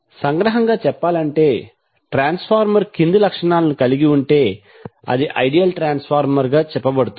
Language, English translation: Telugu, So to summaries we can say the transformer is said to be ideal if it has the following properties